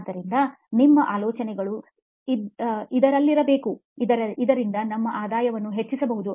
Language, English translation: Kannada, So your ideas have to be in this so that you can increase your revenue